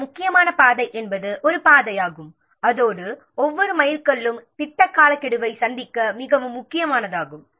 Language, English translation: Tamil, A critical path is a path along which every milestone is very much critical to meeting the project deadline